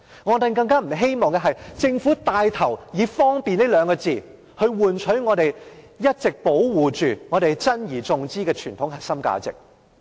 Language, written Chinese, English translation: Cantonese, 我們更不希望政府牽頭以"方便"這兩個字，換取我們一直保守着且珍而重之的傳統核心價值。, We do not want to see the Government take the lead to sacrifice in the name of convenience our well - cherished traditional core values that we have worked so hard to maintain